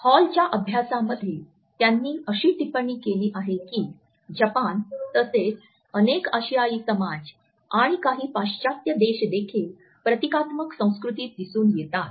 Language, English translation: Marathi, In Hall’s studies he has commented that Japan as well as several Asian societies and certain Western countries are also under this group of symbolic cultures